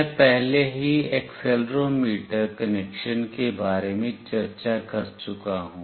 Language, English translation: Hindi, I have already discussed about the accelerometer connection